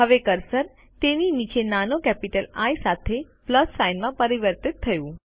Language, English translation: Gujarati, Now the cursor has been transformed into a Plus sign with a small capital I beneath it